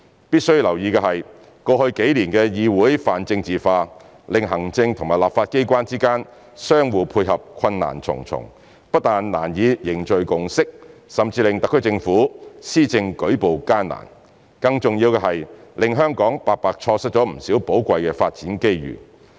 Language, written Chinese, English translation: Cantonese, 必須留意的是，過去數年的議會泛政治化，令行政和立法機關之間相互配合困難重重，不但難以凝聚共識，甚至令特區政府施政舉步艱難，更重要的是令香港白白錯失了不少寶貴的發展機遇。, One should note that the pan - politicization of the legislature in the past few years had made it more difficult for the executive and legislature to work together . Not only is it difficult to build consensus it is even more difficult for the SAR Government to implement its policies . And the most important thing is that it has cost Hong Kong many invaluable development opportunities